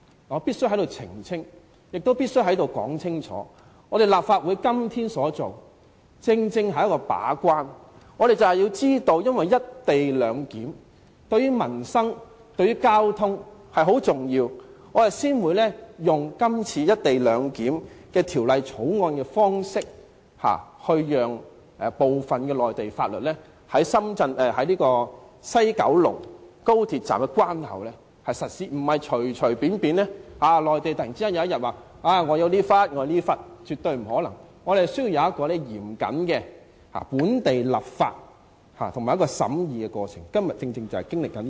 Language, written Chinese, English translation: Cantonese, 我必須在此澄清，也必須在此說清楚，立法會今天所作的正是為了把關，我們就是知道"一地兩檢"對民生和交通很重要，所以這次才會以制定《廣深港高鐵條例草案》的方式，讓部分內地法律在高鐵西九龍站的關口實施，並非隨便讓內地可以突然佔據某幅土地，絕對不可能，我們需要有嚴謹的本地立法和審議過程，今天我們正是經歷這個過程。, I must clarify and make it very clear here that what we are doing in this Council today is to do our job as the gatekeeper . We know that the co - location arrangement is very important to peoples livelihood and the transport and that is why the Government has to allow some Mainland laws applicable in the Mainland Port Area of the West Kowloon Station by way of the Guangzhou - Shenzhen - Hong Kong Express Rail Link Co - location Bill the Bill to prevent the Mainland from suddenly seizing a certain piece of land here . This is absolutely impossible